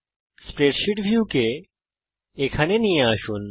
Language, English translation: Bengali, lets move the spreadsheet view here